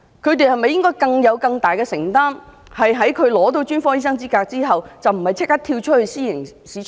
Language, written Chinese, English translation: Cantonese, 因此，他們是否應負上更大的承擔，在他們取得專科醫生資格後，不應立即"跳出"私營市場？, For that reason should they bear more responsibilities and refrain from joining the private sector after they have obtained their specialist qualifications?